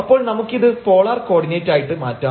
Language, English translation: Malayalam, So, we can change this to polar coordinate that is easier